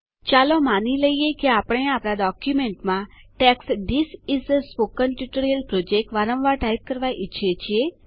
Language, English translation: Gujarati, Lets say we want to type the text, This is a Spoken Tutorial Project repeatedly in our document